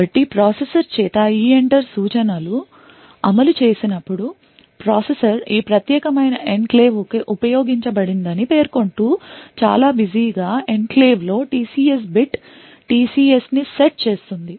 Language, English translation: Telugu, So, when the EENTER instruction is executed by the processor, the processor would set TCS bit the TCS in enclave too busy stating that this particular enclave is not used